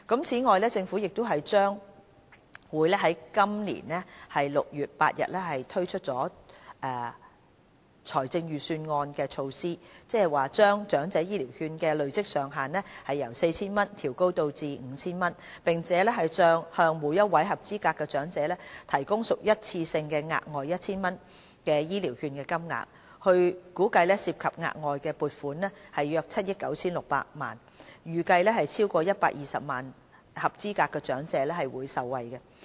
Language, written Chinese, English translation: Cantonese, 此外，政府將會在今年6月8日按照財政預算案推出措施，把長者醫療券的累積上限由 4,000 元調高至 5,000 元，並向每位合資格長者提供屬一次性質的額外 1,000 元醫療券金額，估計涉及額外撥款約7億 9,600 萬元，預計會有超過120萬名合資格長者受惠。, As the health care initiatives in the Budget the Government will increase the accumulation limit of the vouchers from 4,000 to 5,000 in 8 June while an one - off additional 1,000 worth of EHVs will also be provided . The measures which are estimated to incur an additional funding of 796 million will benefit about 1.2 million eligible elderly people